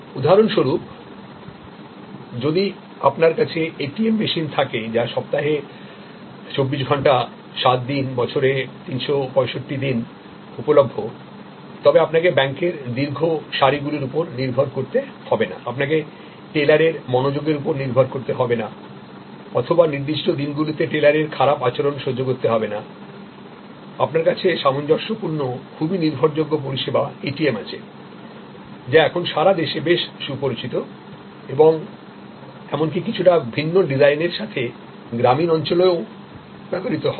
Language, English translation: Bengali, So, for example, if you have a ATM machine which is available to you 24 hours 7 days a week, 365 days a year, you do not have to depend on long queues, you do not have to depend on the lack of a attention from the teller or bad behavior from the teller on certain days, you have very consistent, very reliable service which is the ATM, which is now pretty well known around the country and used even in rural areas with a little bit different design